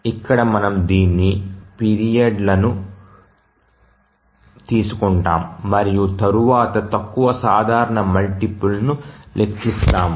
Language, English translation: Telugu, So, we take all the periods and then compute the least common multiple